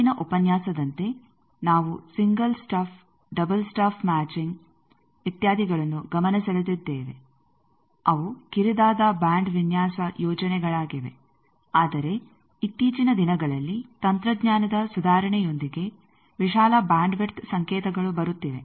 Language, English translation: Kannada, As in the last lecture, we have pointed out single stuff, double stuff matching, etcetera they are narrow band designs scheme, but nowadays with the improvement of technology, wide bandwidth signals are coming